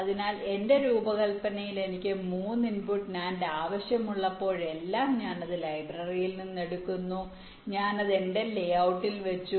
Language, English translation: Malayalam, so in my design, whenever i need a three input nand, i simply pick it up from the library, i put it in my layout